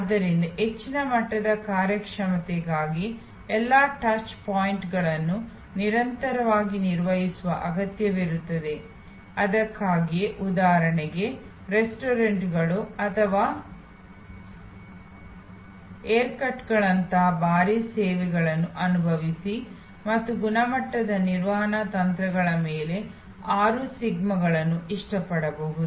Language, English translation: Kannada, So, all the touch points need to be managed continuously for that level of high performance that is why for example, experience heavy services, like restaurants or haircuts and so on quality management techniques likes six sigma can be quiet gainfully applied